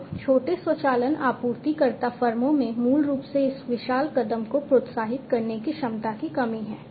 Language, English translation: Hindi, So, small automation supplier firms basically lack the capability to incentivize this huge step